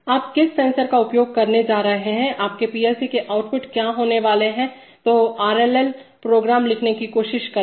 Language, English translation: Hindi, What sensor you are going to use, what are going to be the outputs of your PLC, etcetera then try to write the RLL program